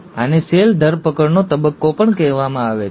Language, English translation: Gujarati, This is also called as the phase of cell arrest